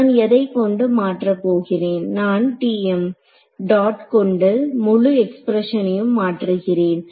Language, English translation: Tamil, Now what am I replacing it by I am replacing this by T m dot this whole expression